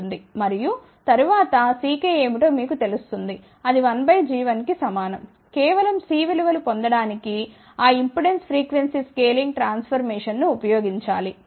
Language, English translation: Telugu, And, after that once you know what is C k, which is equal to 1 by g 1 simply use that impedance frequency scaling transformation to obtain the values of C